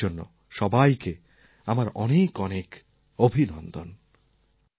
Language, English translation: Bengali, My greetings to everybody on this auspicious occasion of New Year